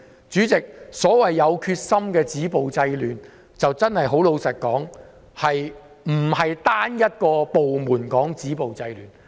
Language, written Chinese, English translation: Cantonese, 主席，所謂"有決心地止暴制亂"，老實說，並非由單一部門止暴制亂。, Chairman frankly the determination to stop violence and curb disorder is concerned to be frank we should not rely on one single department to do it